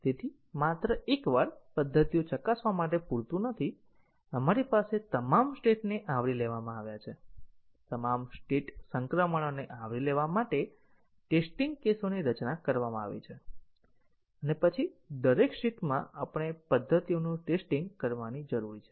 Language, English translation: Gujarati, So, it is not just enough to test the methods once, we have all the states covered, design test cases to cover all state transitions and then in each state we need to test the methods